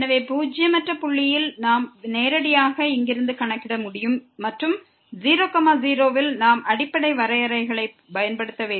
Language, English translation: Tamil, So, at non zero point that non zero point, we can directly compute from here and at we have to use the fundamental definitions